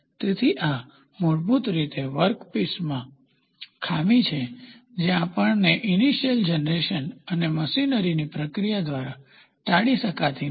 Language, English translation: Gujarati, So, these are basically defects in the workpiece itself, we which cannot be avoided both by the process of initial generation and machining